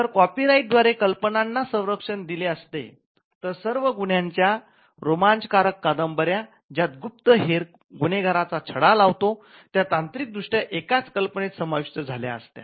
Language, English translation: Marathi, So, you could if copyright regime were to grant protection on ideas, then all crime thrillers where say a detective solves a crime would technically fall within the category of covered by the same idea